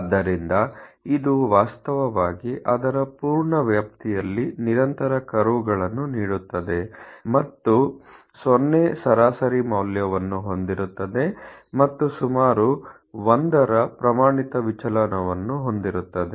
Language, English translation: Kannada, So it is actually continues curves over its full range and has a mean a value look around a 0 and a standard deviation of about one